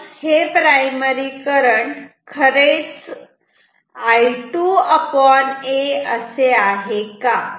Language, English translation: Marathi, But is this primary current actually equal to I 2 by a